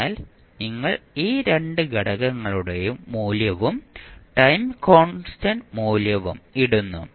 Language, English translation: Malayalam, So, you put the value of these 2 components and time constant value